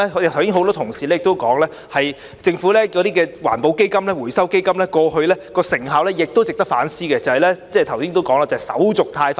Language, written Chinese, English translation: Cantonese, 剛才很多同事也提及，政府的環保基金、回收基金過去成效不彰，亦值得反思，即我剛才提到手續太繁複。, As many Honourable colleagues have just mentioned the effectiveness of the Governments environment fund and Recycling Fund has not been satisfactory the reason for which is worth reflecting on namely the overly complicated procedures I have mentioned